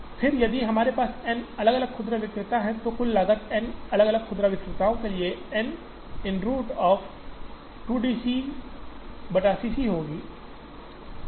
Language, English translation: Hindi, Then, if we have it for N different retailers, the total cost there will be, for n different retailers N into root of 2 D C naught C c